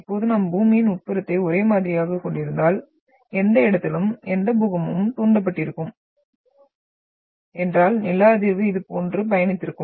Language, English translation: Tamil, Now if we would have the interior of Earth as homogeneous, then any earthquake which would have triggered at any locations then the seismic would have travelled like this